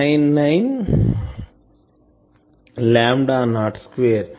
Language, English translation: Telugu, 199 lambda not square